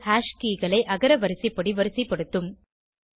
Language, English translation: Tamil, This will sort the hash keys in alphabetical order